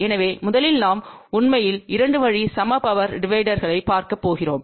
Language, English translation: Tamil, So, first we will actually going to look at 2 way equal power divider